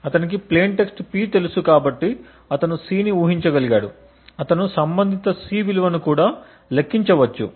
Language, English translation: Telugu, Since he knows the plane text P and he has guessed C, he can also compute the corresponding C value